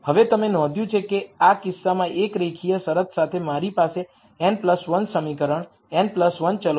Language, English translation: Gujarati, Now, you notice that in this case with one linear constraint I have n plus 1 equation in n plus 1 variables